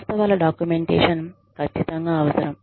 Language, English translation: Telugu, Documentation of the facts, is absolutely necessary